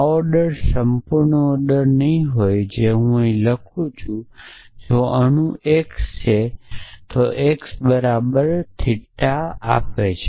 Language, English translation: Gujarati, So, this order will not be the perfect order I am writing here if atom x then if x equal to why return theta else